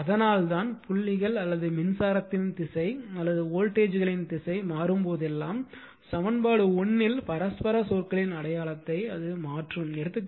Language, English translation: Tamil, So, that is why that is why reversing the dots or reversing the assumed direction of current right or voltages in either winding will change the sign of mutual your terms in equation 1